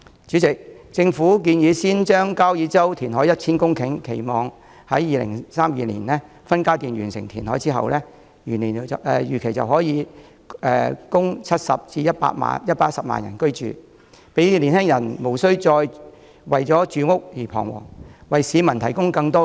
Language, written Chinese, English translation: Cantonese, 主席，政府建議先在交椅洲填海 1,000 公頃，期望2032年起分階段完成填海後，預料可供70萬至110萬人居住，讓青年人無須再為住屋彷徨。, President the Government has proposed to first carry out reclamation in Kau Yi Chau for 1 000 hectares of land . The reclamation expected to be completed in phases will accommodate a population of 700 000 to 1 100 000 by 2032 . The proposal is intended to relieve housing pressure on young people